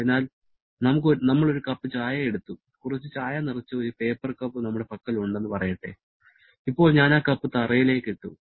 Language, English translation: Malayalam, So, we have taken a cup of tea, let us say we have a paper cup which is filled with some tea and now I have dropped that cup to the floor